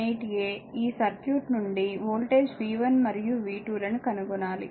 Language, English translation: Telugu, 18 , we have to find out voltages v 1 and v 2